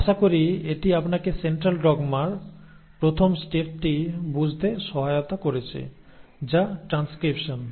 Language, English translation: Bengali, Hopefully this has helped you understand the first step in Central dogma which is transcription